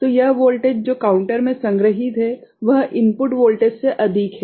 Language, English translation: Hindi, So, this voltage, what is stored in the counter is more than the input voltage right